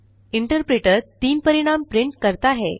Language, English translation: Hindi, The interpreter prints the result as 3